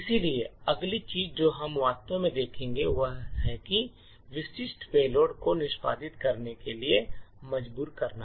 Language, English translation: Hindi, So, the next thing we will actually look at is to force up specific payload to execute